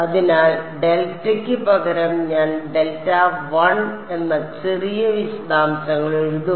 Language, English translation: Malayalam, So, instead of delta, I will write delta 1 the minor details